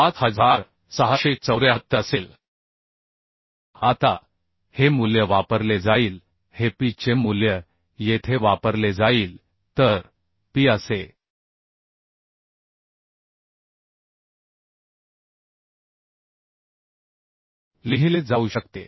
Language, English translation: Marathi, 5674 Now this value will be used this phi value will be used here phi right So phi can be written as (1